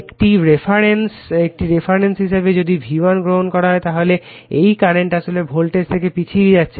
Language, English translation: Bengali, If you take your V1 as a reference so, this current actually lagging from your what you call the voltage